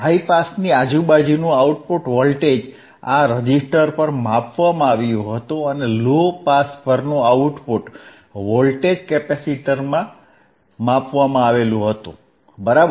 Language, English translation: Gujarati, The output voltage across the high pass was measured across this resistor, and output voltage across low pass was measured across the capacitor, right